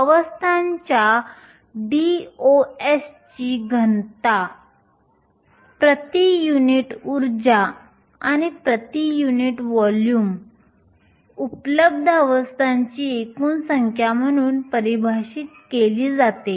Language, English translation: Marathi, The density of states DOS is defined as the total number of available states per unit energy and per unit volume